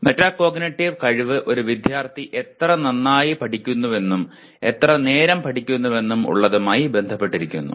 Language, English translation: Malayalam, Metacognitive ability affects how well and how long the student study